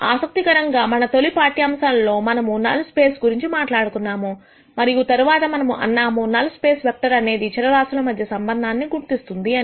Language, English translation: Telugu, Interestingly, in our initial lectures, we talked about null space and then we said the null space vector identi es a relationship between variables